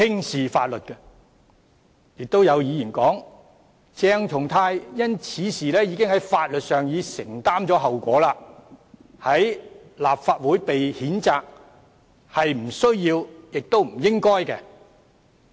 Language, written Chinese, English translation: Cantonese, 此外，有議員表示鄭松泰已因此事承擔了法律後果，立法會的譴責是不需要和不應該的。, Moreover some Members hold that Dr CHENG has already borne the legal consequences of this incident censure by the Legislative Council is unnecessary and unjustified